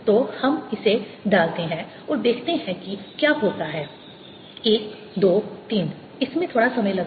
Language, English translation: Hindi, so let's put it and see what happens: one, two, three